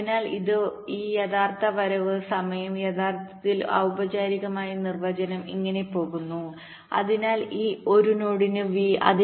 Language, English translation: Malayalam, so this, this, this actual arrival time, actually formally definition goes like this: so for a node, v